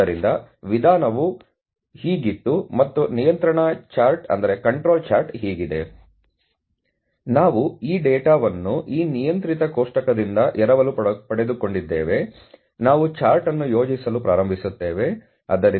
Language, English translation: Kannada, So, that is how the modality was and this is how the control chart is… So, having said that we from this data borrowed from this table controlled table, we start plotting the chart, so the limits 0